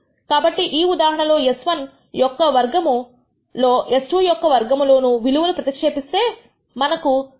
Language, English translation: Telugu, So, in this case if you plug in the values for S 1 squared , S 2 squared we have got a f value of 0